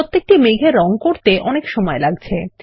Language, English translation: Bengali, Coloring each cloud will take a long time